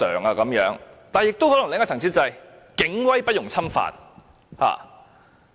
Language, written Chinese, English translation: Cantonese, 但另一個層次的考慮，可能是警威不容侵犯。, Another level of consideration is the perceived infallibility of the Police